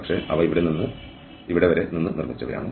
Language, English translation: Malayalam, But, these are made of from here to here